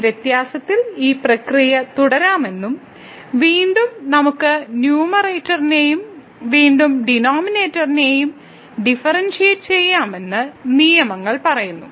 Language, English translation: Malayalam, So, in that case the rules says that we can continue this process of these differentiation and again we can differentiate the numerator and again the denominator